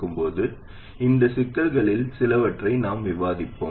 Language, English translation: Tamil, Now we will discuss a few of these issues